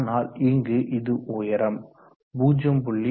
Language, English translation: Tamil, 22 and here it is the height which is 0